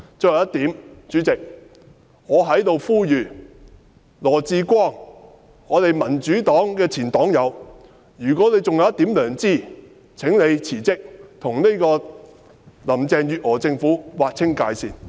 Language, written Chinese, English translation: Cantonese, 最後一點，代理主席，我在這裏呼籲羅致光——民主黨的前黨友，如果他還有一點良知，請他辭職，跟林鄭月娥政府劃清界線。, Lastly Deputy President here I call on LAW Chi - kwong―a former comrade of the Democratic Party―to resign and sever his tie with Carrie LAMs Administration if he still has a conscience